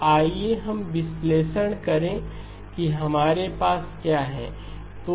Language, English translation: Hindi, So let us analyse what we have